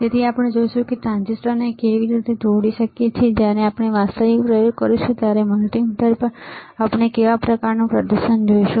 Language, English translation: Gujarati, So, we will see how we can attach the transistor, and what kind of display we will see on the multimeter when we do the actual experiment